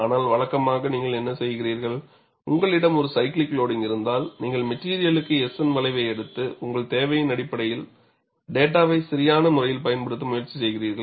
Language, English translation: Tamil, But conventionally, what you do, if we have a cyclical loading, you just take the S N curve for the material and try to use the data appropriately, on that basis of your need